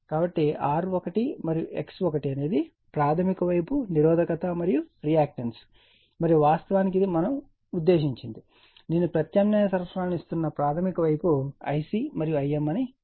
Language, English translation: Telugu, So, the R 1 and X 1 is the primary side resistance and reactance and this is actually we are meant to this is your what you call that I c and I m that is your primary side we are giving the alternating supply